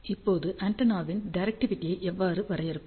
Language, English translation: Tamil, Now, how do we define directivity of the antenna